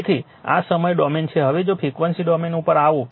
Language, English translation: Gujarati, So, this is time domain, now if you come to your frequency domain